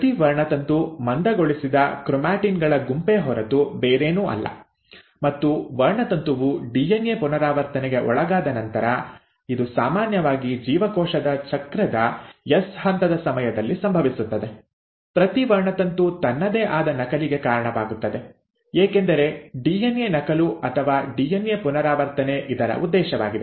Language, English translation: Kannada, So each chromosome is nothing but a set of condensed chromatin and after the chromosome has undergone DNA replication which usually happens during the S phase of cell cycle, each chromosome gives rise to a copy of itself, right, because that is the purpose of DNA duplication or DNA replication